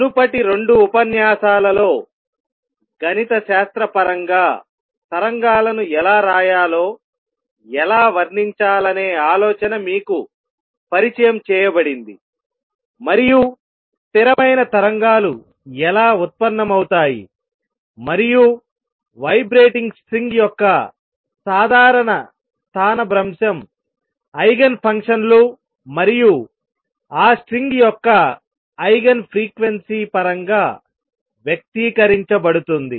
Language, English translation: Telugu, In the previous 2 lectures are introduced you to the idea of how to describe waves how to write the mathematically, and also how stationary waves arise and a general displacement of a vibrating string can be express in terms of the Eigen functions, and Eigen frequencies of that string